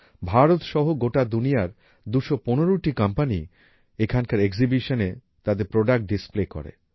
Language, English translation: Bengali, Around 215 companies from around the world including India displayed their products in the exhibition here